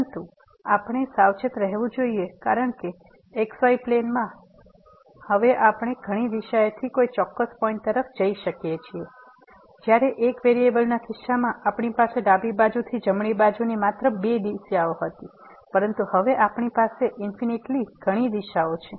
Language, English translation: Gujarati, But we have to be careful because in the plane now we can approach to a particular point from several directions, while in case of one variable we had only two directions from the right hand side from the left hand side, but now we have infinitely many directions